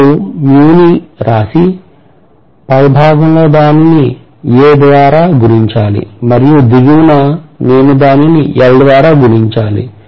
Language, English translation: Telugu, On the top I have to multiply it by A and at the bottom I have to multiply it by L